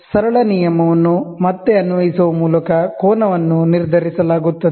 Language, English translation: Kannada, The angle is determined by again applying the simple rule